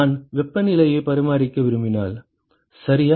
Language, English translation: Tamil, Supposing, if I want to maintain the temperatures ok